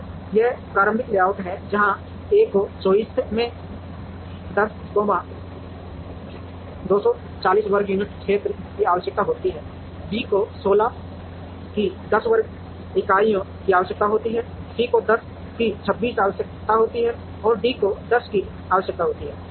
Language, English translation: Hindi, And this is the initial layout, where A requires 24 into 10, 240 square units of area, B requires 16 into 10 square units of area, C requires 10 into 26 and D requires 10 into 14 square units of area